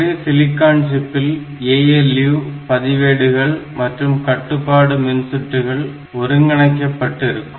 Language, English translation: Tamil, So, it is a single silicon chip which has got ALU registers and control circuitry